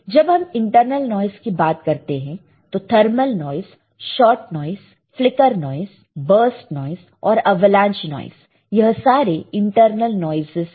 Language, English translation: Hindi, When we talk about internal noise, there are thermal noise, short noise, flicker noise, burst noise and avalanche noise all right